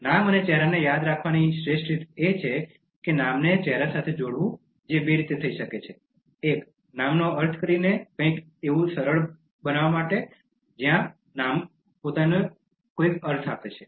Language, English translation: Gujarati, And the best way to remember names and faces is to associate the name to the face which can be done in two ways: One, by making the name mean something this becomes easy in situations where the names themselves mean something